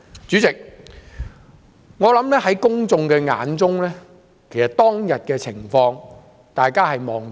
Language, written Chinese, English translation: Cantonese, 主席，我相信公眾對當天的情況有目共睹。, President I believe that the public have all seen what had happened on that day